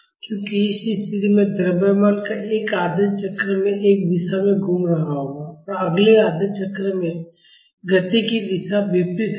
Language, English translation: Hindi, Because this condition the mass will be moving in one direction in one half cycle; and in the next half cycle the direction of motion will be the opposite